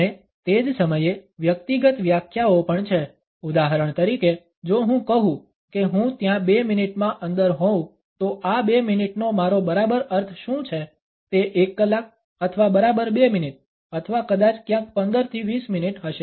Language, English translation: Gujarati, And at the same time there are personal definitions also for example, if I say I would be there within 2 minutes then what exactly I mean by these 2 minutes would it be 1 hour or exactly 2 minutes or maybe somewhere around 15 to 20 minutes